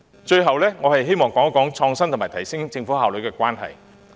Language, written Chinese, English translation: Cantonese, 最後，我希望談談創新科技及提升政府效率兩者之間的關係。, As a final point I wish to say a few words about the correlation between innovative technology and enhancing Government efficiency